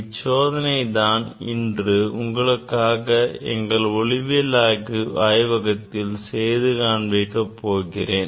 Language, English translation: Tamil, that experiment today I will demonstrate in our optics laboratory